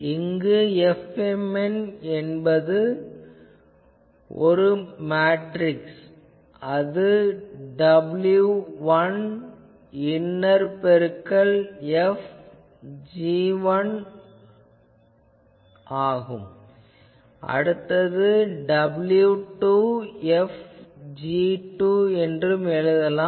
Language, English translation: Tamil, Where what is F mn, F mn matrix is w 1 inner product F of g 1 next one you can write also w 1 F g 2 etc